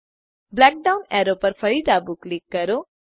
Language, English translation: Gujarati, Left click the black down arrow again